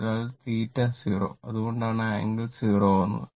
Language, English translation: Malayalam, So, theta is equal to 0 that is why angle is 0 right